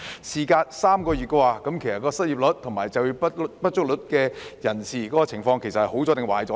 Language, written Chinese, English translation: Cantonese, 事隔3個月，失業率及就業不足率的情況是轉好了，還是變得更差呢？, After three months have the unemployment rate and underemployment rate improved or worsened?